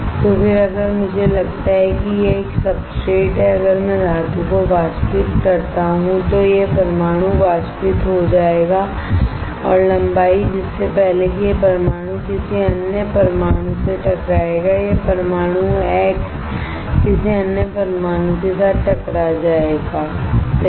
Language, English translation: Hindi, So, then if I deposit suppose this is a substrate if I evaporate the metal right then this atoms will get evaporated and the length before which this atom will collide with some another atom this atom x will collide with some another atom y right this length this path is called mean free path